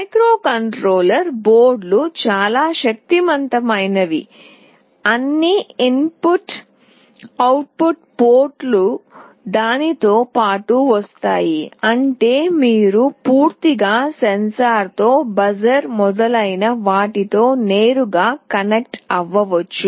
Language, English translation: Telugu, The microcontroller boards are so powerful that all input output ports come along with it, such that you can actually connect directly with a sensor, with the buzzer etc